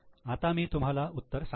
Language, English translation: Marathi, So, I will show the solution to you